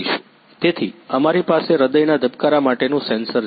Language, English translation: Gujarati, So, we have the heartbeat sensors